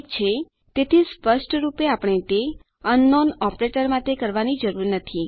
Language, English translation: Gujarati, Okay so obviously we dont need to do that for unknown operator